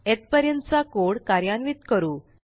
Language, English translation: Marathi, Lets execute the code till here